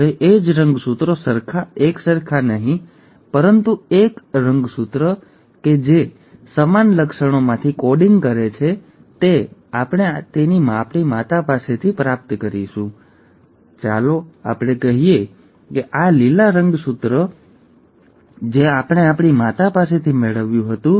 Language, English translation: Gujarati, Now the same chromosome, not identical though, but a chromosome which is coding from similar features we'll also receive it from our mother, right, so let us say that this green coloured chromosome was a chromosome that we had received from our mother